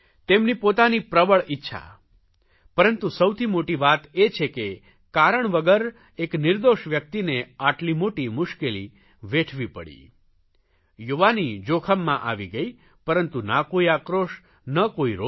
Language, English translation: Gujarati, His zeal is commendable, but above all is the fact that an innocent man had to face such a predicament, his youth is in danger yet he harbors no grudge and no anger